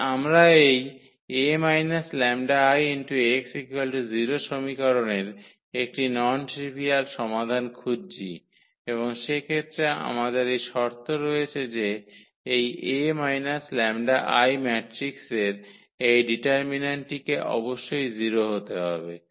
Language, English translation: Bengali, But, we are looking for a non trivial solution of this equation A minus lambda I x is equal to 0 and in that case we have this condition that this determinant of this A minus lambda I matrix this must be 0